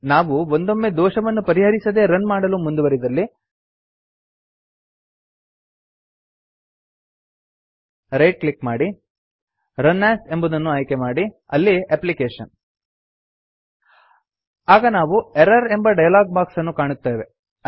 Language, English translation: Kannada, If we proceed to the run without fixing the error right click select run as java application We have a Error Dialog Box